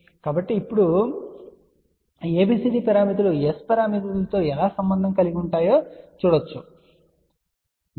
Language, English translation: Telugu, So, now, we want to actually see how abcd parameters can be related with S parameters